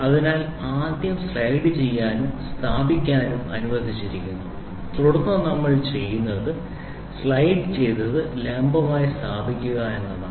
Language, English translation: Malayalam, So, first it is allowed to slide and place and then what we do is slide and place a perpendicular